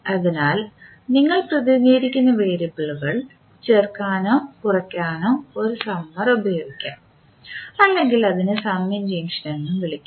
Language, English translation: Malayalam, So, when you want to add or subtract the variables you represent them by a summer or you can also call it as summing junction